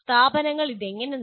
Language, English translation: Malayalam, And the institutions, how did they achieve this